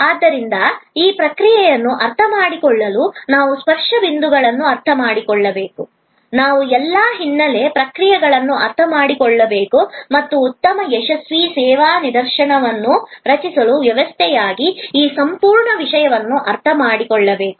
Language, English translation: Kannada, To understand this process therefore, we have to understand the touch points, we have to understand all the background processes and understand this entire thing as a system to create a good successful service instance